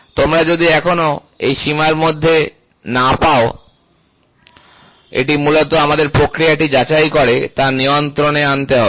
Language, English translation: Bengali, If you do not get it in this range then, it is basically we have to recheck the process and bring it under control